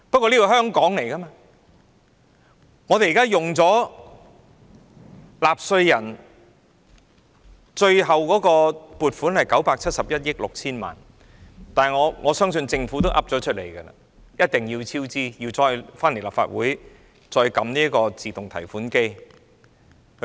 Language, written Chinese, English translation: Cantonese, 這項工程由納稅人支付，最後使用的撥款是971億 6,000 萬元，而政府亦明言必定會超支，還要再來立法會這個"自動提款機"提款。, The present project is funded by Hong Kong taxpayers at a cost of 97.16 billion at last . Moreover the Government has stated unequivocally that the cost will overrun and it will come to the Legislative Council the automatic teller machine to obtain further funding